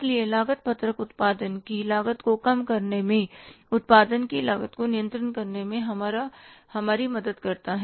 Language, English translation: Hindi, So cost sheet helps us in controlling the cost of production, in reducing the cost of production